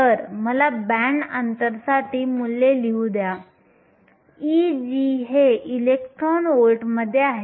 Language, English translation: Marathi, So, let me write the values for the band gap, here e g, this is in electron volts